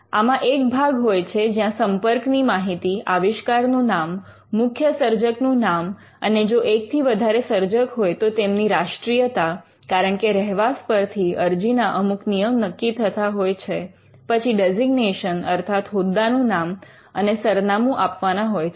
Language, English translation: Gujarati, So, there is part a which has the contact information, name of the invention, main inventor, if there are multiple inventors they have to be mentioned nationality, because your residents can determine certain rules of filing, official designation, contact information and address